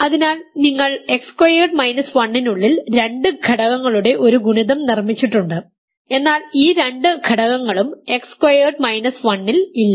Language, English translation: Malayalam, So, you have produced a product of two elements inside X squared minus 1, but neither of these two elements is in X squared minus 1